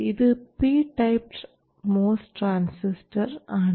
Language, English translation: Malayalam, Whereas this is the model for the PMS transistor